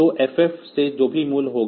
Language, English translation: Hindi, So, from FF from whatever be the value